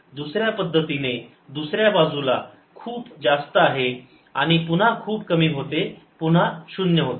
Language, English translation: Marathi, the other way, on the other side, very large and elimination, again zero